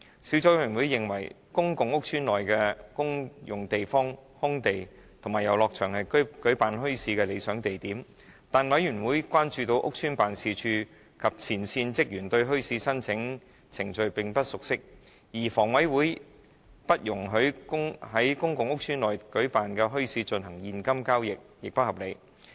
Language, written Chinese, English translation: Cantonese, 小組委員會認為公共屋邨內的公用地方、空地和遊樂場是舉辦墟市的理想地點。但是，小組委員會關注到屋邨辦事處及前線職員對墟市申請程序並不熟悉，而香港房屋委員會不容許在公共屋邨內舉辦的墟市進行現金交易亦不合理。, The Subcommittee considers common areas open spaces and playgrounds in pubic rental housing estates PRH ideal for holding bazaars but it is concerned that estate offices and frontline staff are not familiar with the bazaar application procedures . It also considers it unreasonable that the Hong Kong Housing Authority HA does not allow cash transactions at bazaars held in PRH estates